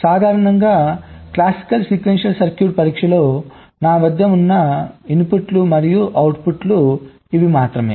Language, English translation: Telugu, normally in a classical sequential circuit testing these are the only inputs and outputs i have